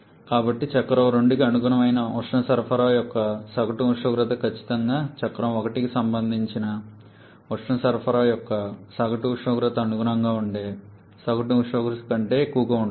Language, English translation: Telugu, So, the average temperature of heat addition corresponding to the cycle 2 is definitely greater than the average temperature corresponding to the average temperature of heat addition corresponding to cycle 1